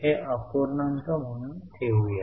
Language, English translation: Marathi, This time let us just keep it as a fraction